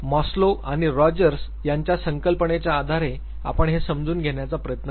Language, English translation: Marathi, We would be borrowing the concept of Maslow and Rogers and then trying to understand this